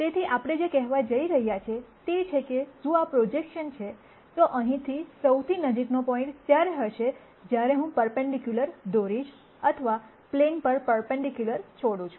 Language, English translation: Gujarati, So, what we are going to say is that, if this is the projection, then the closest point from here would be when I draw a perpendicular or drop a perpendicular onto the plane